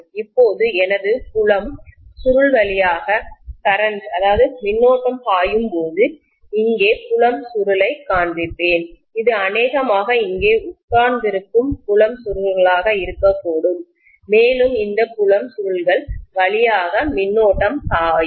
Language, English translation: Tamil, Now when I am having current flowing through my field coil, so let me show the field coil here, this is probably going to be the field coils which are sitting here and the current is going to flow through these field coils